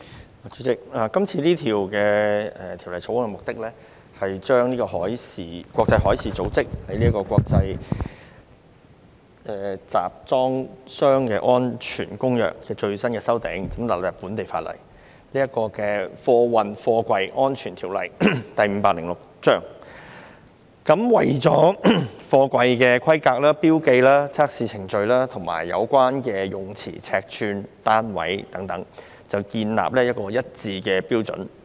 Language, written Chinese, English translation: Cantonese, 代理主席，《2019年運貨貨櫃條例草案》的目的，是將國際海事組織的《國際集裝箱安全公約》的最新修訂納入本地法例，即《運貨貨櫃條例》，為貨櫃的規格、標記、測試程序、詞彙、尺寸和單位等，建議一套劃一標準。, Deputy President the Freight Containers Safety Amendment Bill 2019 the Bill seeks to incorporate the latest amendments to the International Convention for Safe Containers promulgated by the International Maritime Organization IMO into our local legislation namely the Freight Containers Safety Ordinance Cap . 506 and to propose a set of uniform standards for the specifications markings testing procedures terms dimensions and units relating to containers